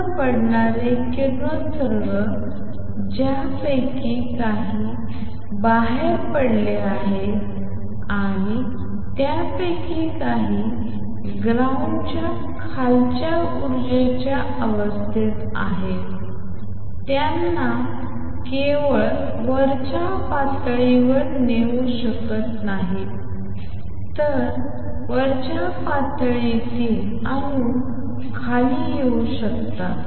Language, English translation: Marathi, Radiation falling on atoms some of which are exited and some of which are in the ground state lower energy state can not only take them to the upper state it can also make the atoms in the upper state come down